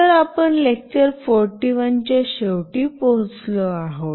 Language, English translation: Marathi, So, we have come to the end of lecture 41